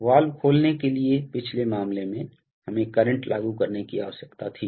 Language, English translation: Hindi, In the previous case for opening the valve, we needed to apply current